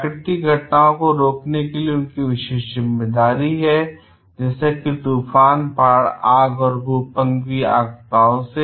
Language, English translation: Hindi, They have special responsibility as well for preventing natural events; such as, hurricanes, floods, fires and earthquakes from becoming disasters